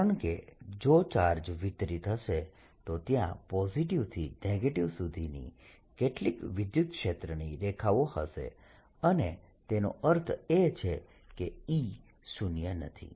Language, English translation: Gujarati, it is because if the charges distributed then there will be some electric field line from positive to negative and that means e is not zero